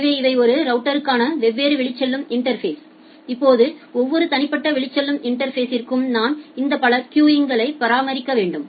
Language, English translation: Tamil, So, these are the different outgoing interfaces for a router, now for every individual outgoing interface I need to maintain these multiple queues